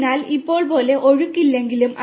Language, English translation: Malayalam, So, like right now although the there is no flow